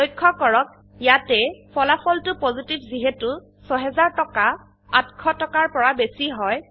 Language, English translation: Assamese, Notice, that the result is Positive since rupees 6000 is greater than rupees 800